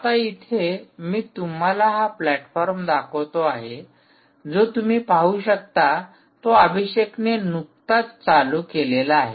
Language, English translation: Marathi, what i so show you here is: this platform is actually now switched on, as you have seen, abhishek just switched it on